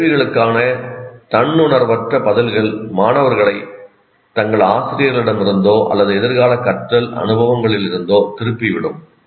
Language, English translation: Tamil, And unconscious responses to these questions can turn the students toward or away from their teachers and future learning experiences